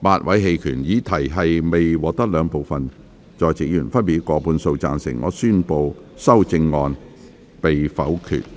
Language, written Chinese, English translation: Cantonese, 由於議題未獲得兩部分在席議員分別以過半數贊成，他於是宣布修正案被否決。, Since the question was not agreed by a majority of each of the two groups of Members present he therefore declared that the amendment was negatived